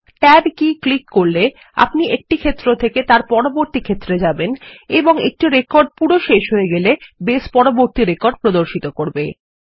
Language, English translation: Bengali, Let us click on the tab key to go to each field, and as we go to the last, Base opens the next record